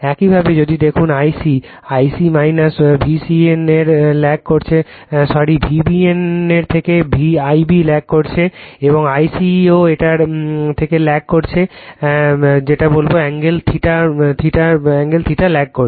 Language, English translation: Bengali, Similarly if you see the I c I c also lags from V c n by , sorry, I I b lag from V b n by theta and I c is also lags from this one your what you call your, by an angle theta